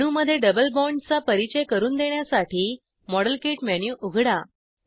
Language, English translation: Marathi, To introduce a double bond in the molecule, open the model kit menu